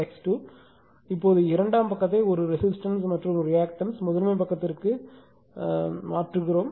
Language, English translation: Tamil, So, now this this side your what you call the secondary side a resistance and reactance the equivalent one transferred to the primary side, right